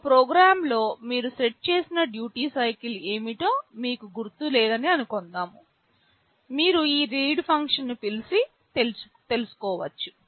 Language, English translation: Telugu, Suppose, in a program you do not remember what was the duty cycle you had set, you can call this function read and know that